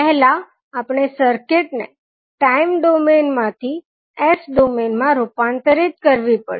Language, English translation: Gujarati, So we will first transform the circuit into s domain